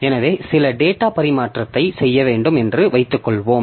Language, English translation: Tamil, So, suppose we have to do some data transfer